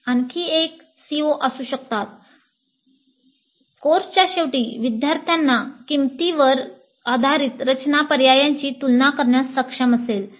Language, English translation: Marathi, Another CO2 may be at the end of the course students will be able to compare design alternatives based on cost